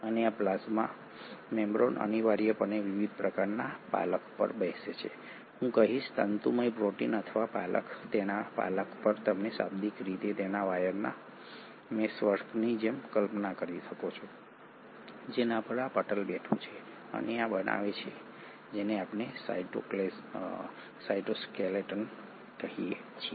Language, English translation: Gujarati, And this plasma membrane essentially sits on a scaffold of various, I would say, fibrous proteins or scaffold its you can literally visualize it like a meshwork of wires on which this membrane is sitting, and this forms what we call as the cytoskeleton